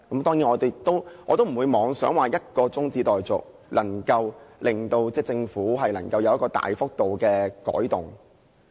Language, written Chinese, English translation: Cantonese, 當然，我不會妄想以一項中止待續議案便能夠令政府作出大幅度的改動。, Of course I will not hold the unrealistic thought that an adjournment motion can induce the Government to introduce drastic changes